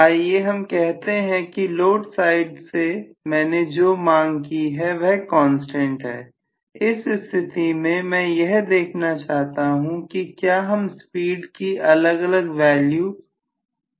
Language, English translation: Hindi, Let us say what I have demanded from the load side is a constant, under that condition I want to see whether I will be able to achieve different values of speed